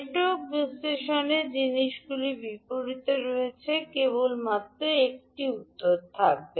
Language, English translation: Bengali, While in Network Analysis the things are opposite, there will be only one answer